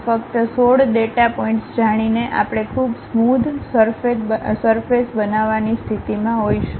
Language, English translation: Gujarati, By just knowing 16 data points we will be in a position to construct a very smooth surface